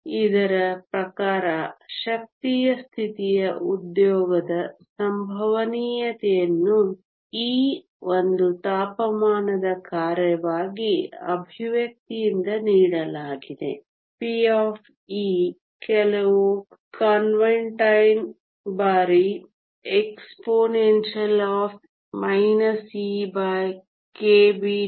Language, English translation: Kannada, According to this the probability of occupation of an energy state e as a function of a temperature is given by the expression p of e some constant times exponential minus e over k b t